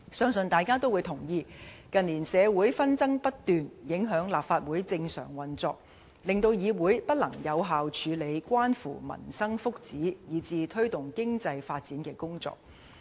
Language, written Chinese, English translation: Cantonese, 相信大家均會同意，近年社會紛爭不斷，影響立法會正常運作，令議會不能有效處理關乎民生福祉，以至推動經濟發展的工作。, I believe that Members will all agree that the unceasing disputes in society in recent years have affected the normal operation of the Legislative Council making it impossible for the legislature to effectively handle the work in relation to peoples well - being and the promotion of economic development